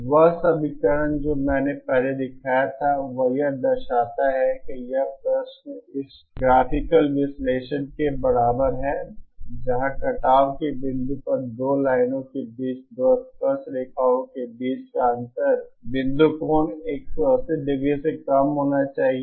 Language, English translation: Hindi, That equation which I showed previously reduces to this, it can be shown that that the question is equivalent to this graphical analysis where the intersection point angle between the two tangents between of two lines at the point of intersection should be lesser than 180¡